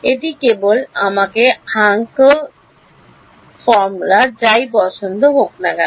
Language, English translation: Bengali, It is simply my Hankel H 0 2 whatever like